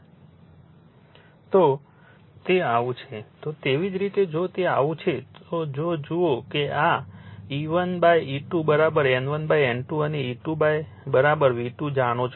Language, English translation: Gujarati, If it is so, similar way if it is so, then if you look into this that E 1 by E 2 is equal to you know N 1 by N 2 and E 2 is equal to V 2